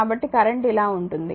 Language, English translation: Telugu, so, current is going like this